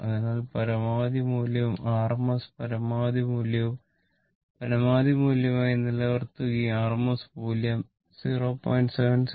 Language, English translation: Malayalam, So, maximum value and rms the maximum value keep it as maximum value and rms value is equal to 0